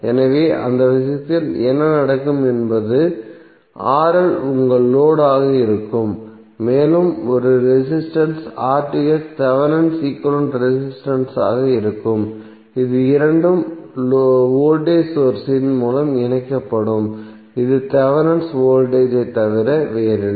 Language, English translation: Tamil, So what will happen in that case the circuit RL this would be your load and there will be one resistance RTh would be the Thevenin equivalent resistance and it would both would be connected through voltage source which is nothing but Thevenin Voltage